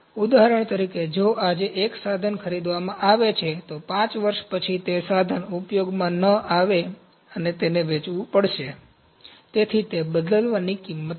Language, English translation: Gujarati, For example, if one equipment is purchased today, after 5 years that equipment might not be of use and that has to be sold, so that is the replacement price